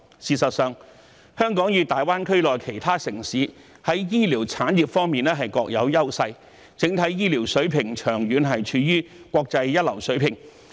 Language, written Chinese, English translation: Cantonese, 事實上，香港與大灣區內其他城市在醫療產業方面各有優勢，整體醫療水平長期處於國際一流水平。, As a matter of fact Hong Kong and other cities in the Greater Bay Area enjoy their own advantages in the healthcare industry and the overall healthcare standards have long been at the top international level